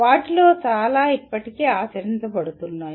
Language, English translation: Telugu, Even many of them are still are practiced